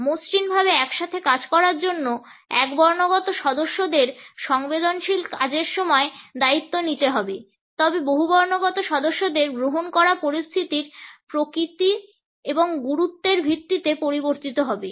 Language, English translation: Bengali, In order to work together smoothly, monotonic members need to take responsibility for the time sensitive tasks while accepting the polyphonic members will vary the base on the nature and importance of a situation